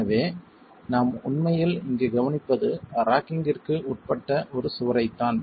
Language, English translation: Tamil, So, what we are actually observing here is a wall that is undergone rocking